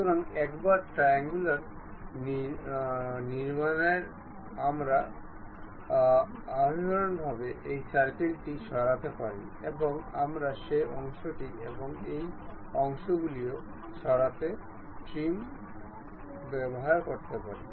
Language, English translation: Bengali, So, once it is done this triangular construction, we can internally remove this circle and we can use trim entities to remove that portion and this portion also